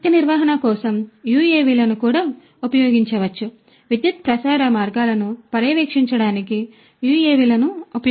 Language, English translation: Telugu, For energy management also UAVs could be used; UAVs could be used to monitor the power transmission lines